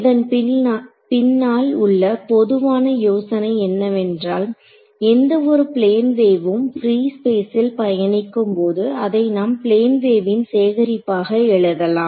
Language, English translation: Tamil, So, the general idea behind this is that any wave that is travelling in free space I can write as a collection of plane waves ok